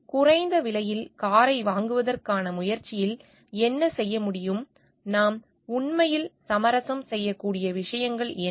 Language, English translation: Tamil, So, what can be done in that be in the effort to provide a low priced car, what are the things that we can really compromise on